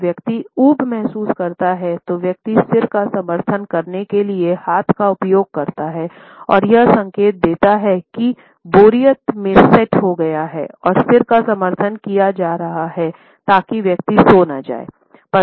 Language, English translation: Hindi, When the person feels bored, then the person uses the hand to support the head and it signals that the boredom has set in and the head is being supported so that the person does not fall down asleep